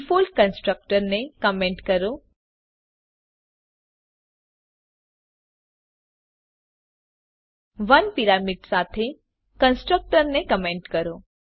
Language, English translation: Gujarati, Comment the default constructor comment the constructor with 1 parameter